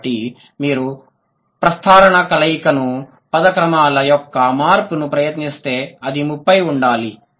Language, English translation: Telugu, So, if you try the permutation combination, the change of word order, potentially it should have 30